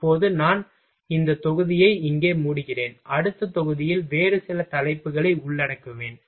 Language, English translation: Tamil, Now I am closing this module here, and in a next module I will cover some other topic